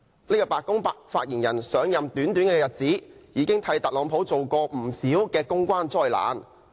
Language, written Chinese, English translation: Cantonese, 這位白宮發言人上任短短日子，已經為特朗普帶來不少公關災難。, He has created quite many public relations disasters for Donald TRUMP after taking office for just a short period of time